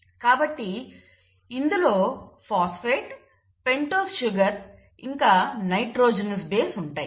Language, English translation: Telugu, So it has a phosphate, a pentose sugar and the nitrogenous base